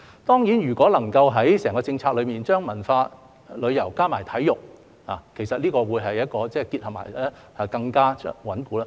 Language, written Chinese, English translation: Cantonese, 當然，如果能夠在整項政策中，將文化、旅遊加上體育，這個結合會更加穩固。, Of course if culture and tourism can be integrated with sports in the overall policy this integration will be more solid . The same applies to sports